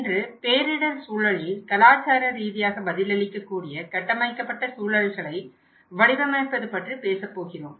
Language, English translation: Tamil, Today, we are going to talk about designing culturally responsive built environments in disaster context